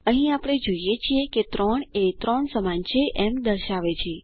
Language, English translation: Gujarati, Here we see it is showing 3 is equal to 3